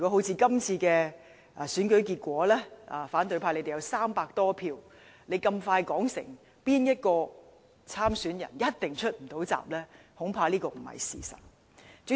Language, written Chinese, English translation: Cantonese, 在今次選舉中，即使反對派手握300多票，他們很早便說某位參選人一定無法出閘。, As far as this election is concerned even though members of the opposition camp hold 300 - odd votes they claimed at a very early stage that one of the contenders could never secure enough nominations to enter the race